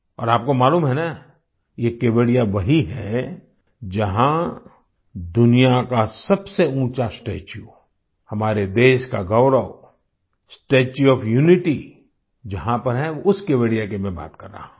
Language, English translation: Hindi, And you also know that this is the same Kevadiya where the world's tallest statue, the pride of our country, the Statue of Unity is located, that is the very Kevadiya I am talking about